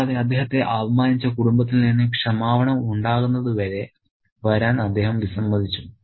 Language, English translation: Malayalam, And it's very interesting that he refuses to come until there is an apology from the family where he has been insulted